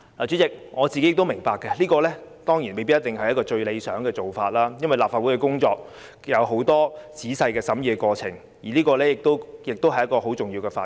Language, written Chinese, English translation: Cantonese, 主席，我明白這未必是最理想的做法，因為立法工作有很多仔細審議的過程，而且《條例草案》是一項很重要的法案。, President I understand that this may not be the most ideal approach because legislative work involves detailed scrutiny of a bill and the Bill is an important one